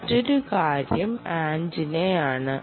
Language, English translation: Malayalam, um, ok, another thing is antenna